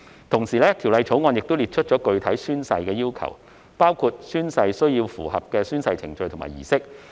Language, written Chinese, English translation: Cantonese, 同時，《條例草案》亦列出了具體的宣誓要求，包括宣誓須符合宣誓程序和儀式。, Meanwhile the Bill also sets out specific oath - taking requirements including that the oath - taking should comply with the oath - taking procedure and ceremony